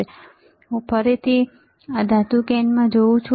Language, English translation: Gujarati, So, this is again I see metal can